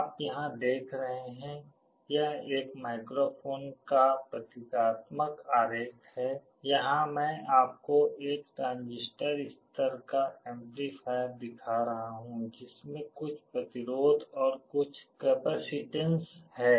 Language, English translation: Hindi, You see here this is the symbolic diagram of a microphone here I am showing you a transistor level amplifier which consists of some resistances and some capacitances